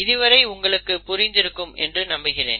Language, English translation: Tamil, I hope you have understood how this is happening